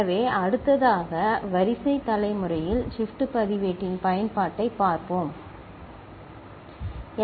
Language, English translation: Tamil, So, next we look at application of a shift register in sequence generation, ok